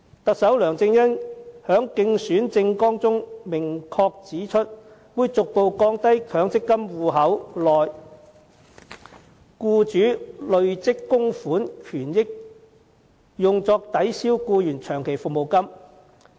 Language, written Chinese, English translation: Cantonese, 特首梁振英在競選政綱中明確指出，會"逐步降低強積金戶口內僱主累積供款權益用作抵銷僱員長期服務金及遣散費的比例"。, Chief Executive LEUNG Chun - ying pointed out clearly in his election manifesto that he will adopt measures to progressively reduce the proportion of accrued benefits attributed to employers contribution in the MPF account that can be applied by the employer to offset long - service or severance payments